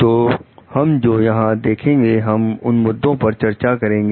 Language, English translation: Hindi, So, what we see over here is we will discuss issue over here